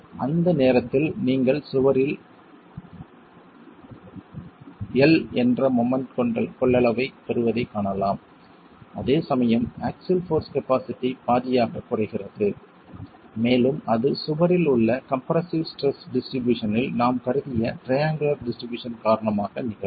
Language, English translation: Tamil, At that point you can see that you get a moment capacity of one in the wall whereas the axial force capacity drops to one half and that's because of the triangular distribution that we've assumed in the distribution of compressive stresses in the wall